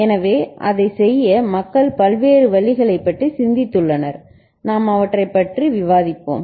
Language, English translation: Tamil, So, to do that, people have thought about various means, we shall discuss them